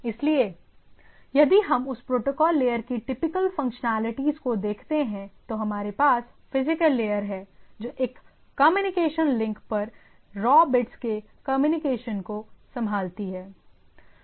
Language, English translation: Hindi, So, if we look at that protocol layers typical functionalities: so we have physical layers which handles transmission of raw bits over a communication link right